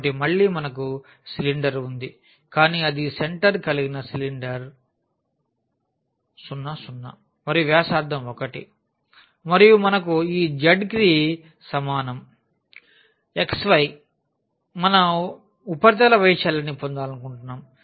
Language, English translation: Telugu, So, again we have the cylinder, but it is it is a cylinder with center 0 0 and radius 1 and we have this z is equal to x y we want to get the surface area